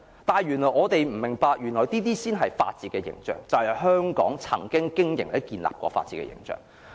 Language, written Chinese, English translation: Cantonese, 但我們不明白原來這些就是法治的形象，就是香港曾經經營建立的法治形象。, Yet those who have mocked this attire do not understand that it represents the image of the rule of law an image Hong Kong had once built up